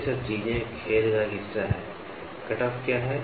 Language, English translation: Hindi, All these things are part of the game what is cutoff